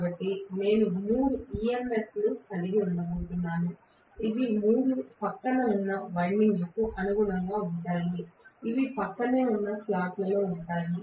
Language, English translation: Telugu, So, I am going to have three EMS which are corresponding to three adjacent windings which are in adjacent slots